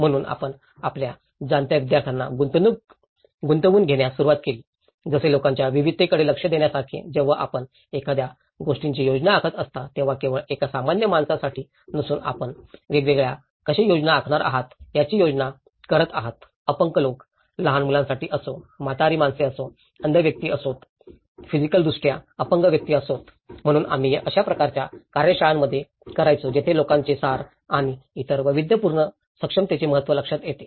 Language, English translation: Marathi, So, this is where we started about engaging our students you know, like even addressing the diversity of people, when you are planning something it is not just a common man for a common man you are planning how you are going to plan for differently abled people, whether for a children, whether is a old age people, whether is a blind person, whether is a physically challenged person, so we used to do some kind of workshops where people realize the essence of and the importance of other diversely abled people